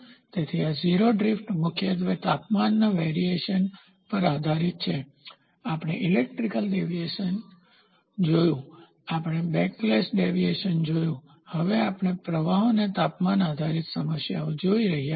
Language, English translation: Gujarati, So, this is a 0 drift is chiefly dependent on the temperature variation, we saw elastic deviation, we saw backlash deviation, we are now seeing temperature based problems for the drift